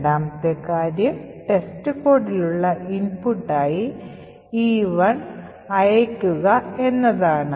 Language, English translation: Malayalam, The second thing is to sent, E1 as an input to test code this is done as follows